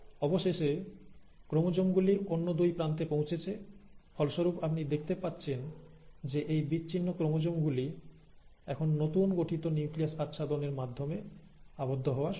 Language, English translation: Bengali, And then finally, by the end of it, the chromosomes have reached the other two ends and as a result, you find that these separated chromosomes now start getting enclosed in the newly formed nuclear envelope